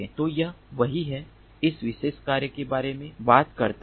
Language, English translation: Hindi, so this is what this particular work talks about